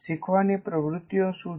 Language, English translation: Gujarati, What are learning activities